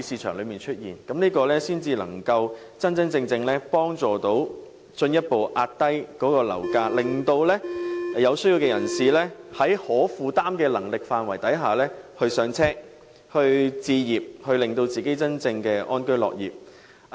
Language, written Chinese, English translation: Cantonese, 這樣才能真正有助進一步遏抑樓價，令有需要的人士能夠在可負擔的能力範圍內"上車"，令他們真正可以安居樂業。, Only in so doing can we genuinely further curb property price and enable people in need to buy affordable flats so that they can live in peace and contentment